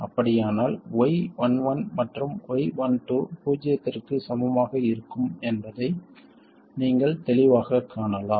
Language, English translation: Tamil, So if this is the case you can clearly see that Y 1 1 and Y 1 2 will be identically equal to 0